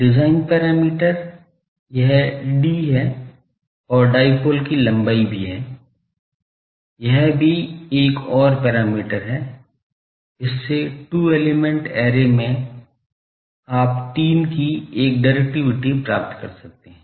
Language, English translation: Hindi, Design parameters are this d and also the length of the dipole; that is also another parameter, with that in a these two element array you can get a directivity of 3 can be achieved